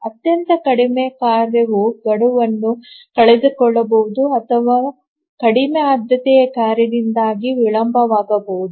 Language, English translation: Kannada, Even the most important task can miss a deadline because a very low priority task it just got delayed